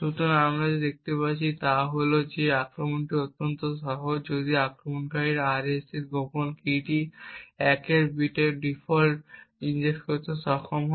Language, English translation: Bengali, So, what we see over here is that this attack is extremely easy provided that the attacker is precisely able to inject 1 bit fault in the secret key of the RSA